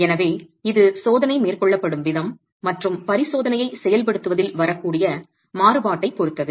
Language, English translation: Tamil, So, it depends a lot on the way the experiment is being carried out and variability that can come in executing the experiment also